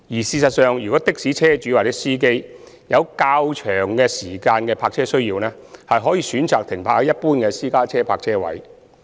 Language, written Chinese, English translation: Cantonese, 事實上，若的士車主或司機有較長時間的泊車需要，可選擇停泊在一般的私家車泊車位。, In fact if taxi owners or drivers need to park for longer duration they may choose to park at general parking spaces for private cars